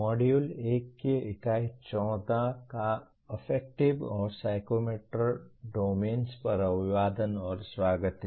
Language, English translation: Hindi, Greetings and welcome to the Unit 14 of Module 1 on Affective and Psychomotor Domains